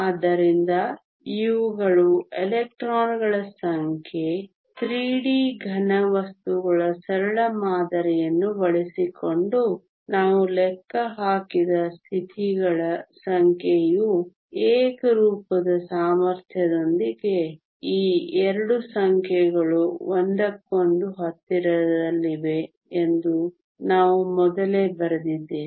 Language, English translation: Kannada, So, these are the number of electrons the number of states which we calculated using a very simple model of a 3D solid with uniform potential which we have written before in we fine that these 2 numbers are very close to each other